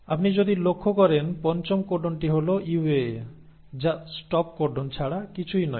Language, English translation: Bengali, If you notice the fifth codon is a UAA which is nothing but the stop codon